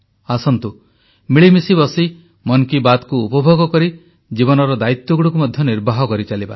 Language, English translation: Odia, Let's sit together and while enjoying 'Mann Ki Baat' try to fulfill the responsibilities of life